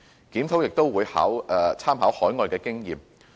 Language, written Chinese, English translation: Cantonese, 檢討也會參考海外的經驗。, It will also make reference to overseas experience